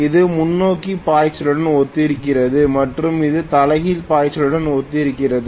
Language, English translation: Tamil, This is corresponding to forward flux and this is corresponding to reverse flux